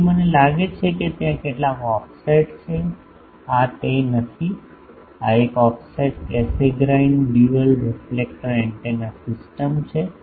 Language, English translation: Gujarati, So, I think there are some offset, no this is this is not that, this is an offset Cassegrain dual reflector antenna system